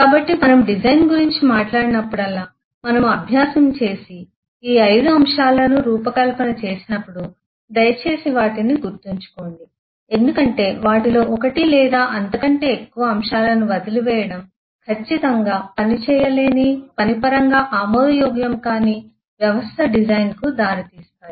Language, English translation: Telugu, so whenever we will talk about design, whenever we will take exercise and design all these eh five factors, please keep them in mind because missing one of, one or more of them will certainly lead to a design which will not be workable, acceptable in terms of a working system